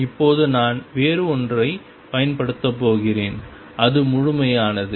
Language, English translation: Tamil, Now, I am going to use something else and that is completeness